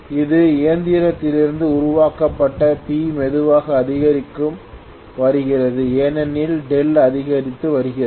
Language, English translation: Tamil, Now P generated from the machine is slowly increasing because delta is increasing